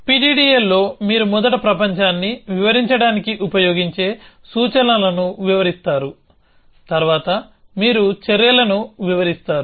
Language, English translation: Telugu, So, in PDDL you first describe what are the predicates that you will use to describe the world, then you describe actions